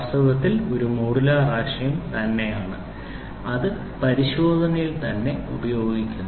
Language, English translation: Malayalam, And in fact, is a modular concept which is used way back in inspection itself